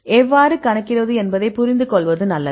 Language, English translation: Tamil, So, it is better to understand how to calculate